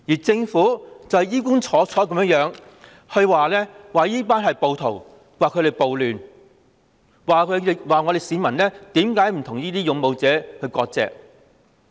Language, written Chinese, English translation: Cantonese, 政府只會衣冠楚楚地譴責他們是暴徒，造成暴亂，又問市民為何不與勇武示威者割席。, Government officials would address up smartly to condemn the people as rioters accusing them of creating the riots and asking them why they do not sever ties with the valiant protesters